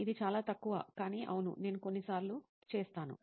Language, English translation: Telugu, It is very less but yes, I do sometimes